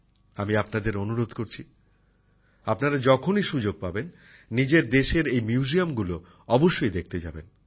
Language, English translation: Bengali, I urge you that whenever you get a chance, you must visit these museums in our country